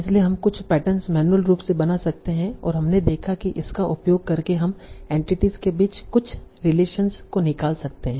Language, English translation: Hindi, So we can build some patterns manually and we saw that by using that we can extract certain relations between entities and there was some limitations with that